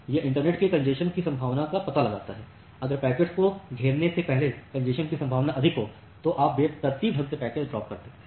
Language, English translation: Hindi, So, it detects the possibility of congestion in the internet, if congestion probability is high you randomly drop packets before enqueueing the packets